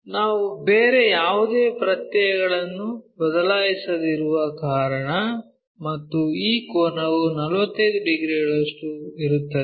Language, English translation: Kannada, So, that is the reason we are not changing any other suffixes and this angle is 45 degrees